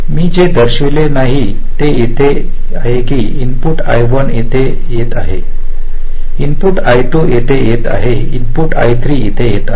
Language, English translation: Marathi, now, what i have not shown is that here, the input i one is coming here, the input i two is coming here, the input i three is coming